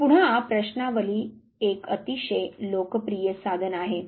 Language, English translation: Marathi, So, questionnaire again is a very popular tool